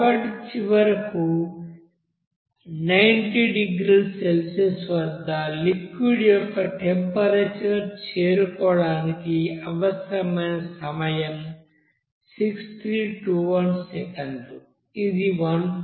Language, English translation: Telugu, So finally, we can say that the time required to reach the temperature of solution at 90 degree Celsius is 6321 second, which is equals to 1